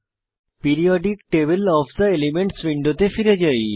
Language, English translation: Bengali, Lets go back to the Periodic table of the elements window